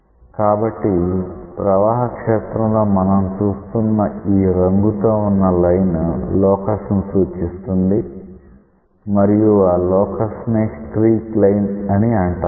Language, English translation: Telugu, So, when you see a colorful line in the flow field it represents that locus and that locus is called as a streak line